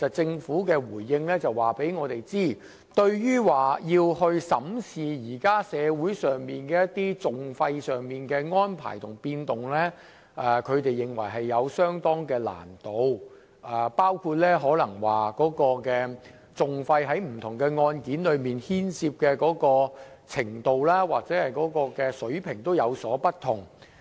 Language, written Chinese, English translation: Cantonese, 政府在回應中指出，對於審視現時社會上各項訟費的變動，他們認為有相當難度，當中原因包括訟費在不同案件中牽涉的程度和水平也有不同。, The Government points out in its reply that it is quite difficult to examine the changes of various litigation costs in society and one of the reasons is that the degree and level of litigation costs incurred vary from case to case